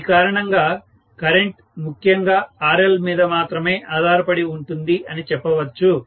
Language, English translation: Telugu, So, because of which I can say the current is mainly dependent upon RL only, nothing else, okay